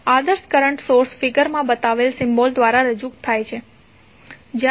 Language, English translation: Gujarati, Ideal current source is represented by this symbol